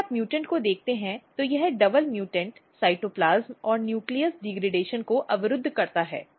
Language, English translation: Hindi, If you look the mutant this double mutant what we see that cytoplasm and nucleus degradation is blocked